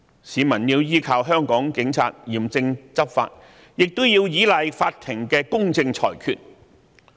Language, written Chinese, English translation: Cantonese, 市民要依靠香港警察嚴正執法，亦要依賴法庭的公正裁決。, The citizens rely on the Hong Kong Police Force for strict law enforcement . They also rely on the Courts for fair and just judgments